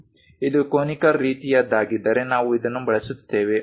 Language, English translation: Kannada, If it is conical kind of taper we use this one